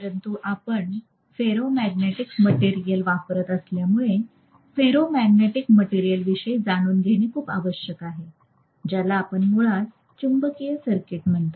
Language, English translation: Marathi, But because we are using ferromagnetic material it is very essential to know about the behavior of ferromagnetic materials; so, which we call as basically magnetic circuit